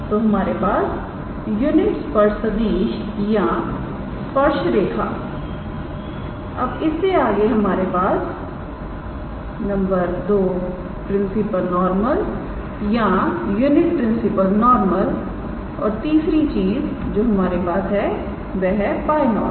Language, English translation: Hindi, So, we have unit tangent vector or the tangent line, it is the next we have is the principal normal or unit principal normal and the third thing that we have is the binormal right